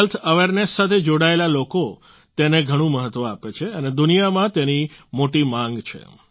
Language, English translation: Gujarati, People connected to health awareness give a lot of importance to it and it has a lot of demand too in the world